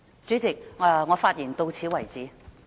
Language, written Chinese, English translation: Cantonese, 主席，我的發言到此為止。, President this is the end of my speech